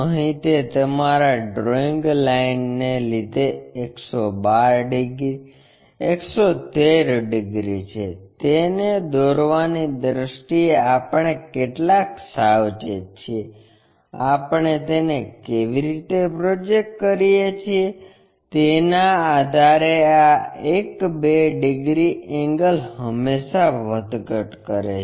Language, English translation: Gujarati, Here 112 degrees, 113 degrees it is because of your drawing lines, how careful we are in terms of drawing it, how we are projecting it, based on that these one two degrees angle always be fluctuating